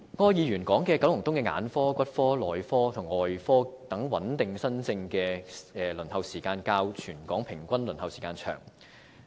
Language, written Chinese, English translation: Cantonese, 柯議員指出九龍東的眼科、骨科、內科及外科等穩定新症的輪候時間較全港的平均輪候時間為長。, According to Mr OR the waiting time for stable new case booking for specialties such as eye orthopaedics and traumatology medicine and surgery in Kowloon East is longer than the territory - wide average waiting time